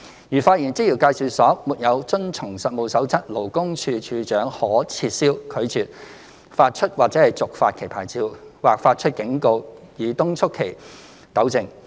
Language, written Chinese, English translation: Cantonese, 如發現職業介紹所沒有遵從《實務守則》，處長可撤銷、拒絕發出或續發其牌照，或發出警告以敦促其糾正。, If it is found that an EA has failed to comply with CoP the Commissioner may revoke or refuse to issue or renew its licence or issue warnings to urge it to rectify the irregularities detected